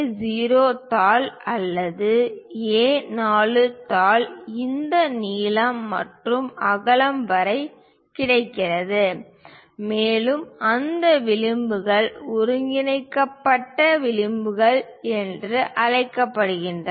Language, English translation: Tamil, The A0 sheet or A4 sheet which is available up to this length and width those edges are called trimmed edges